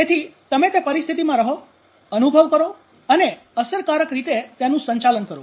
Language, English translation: Gujarati, So you be in the situation and experience and manage effectively